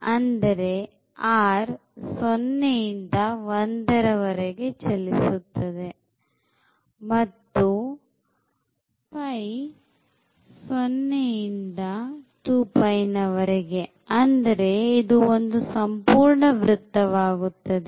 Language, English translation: Kannada, So, r is moving from 0 to 1 and then the theta is moving from 0 to 2 pi the whole circle